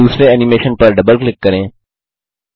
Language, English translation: Hindi, Double click on the second animation in the list